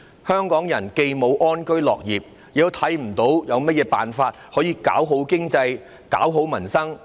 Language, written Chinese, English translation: Cantonese, 香港人既無能力安居樂業，也看不見有甚麼辦法可以搞好經濟、搞好民生。, Hong Kong people are incapable of living in peace and working with contentment nor can they see any way of improving the economy or peoples livelihood